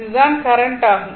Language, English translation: Tamil, This is the current